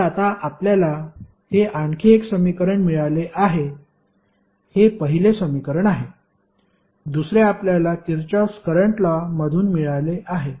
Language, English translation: Marathi, So, now have got another equation first is this equation, second you have got from the Kirchhoff Current Law